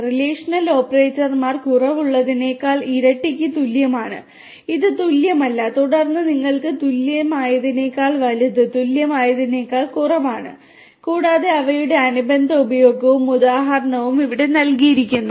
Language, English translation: Malayalam, Relational operators like less than, greater than, double equal to, this is not equal to and then you have greater than equal to, less than equal to and so on and their corresponding use and examples are also given over here